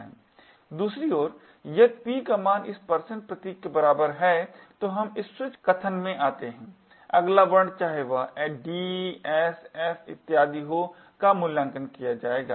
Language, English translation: Hindi, to this % symbol then we come into this switch statement, the next character whether it is d, s, f and so on would then be evaluated